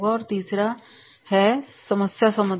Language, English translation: Hindi, And the third is the problem solving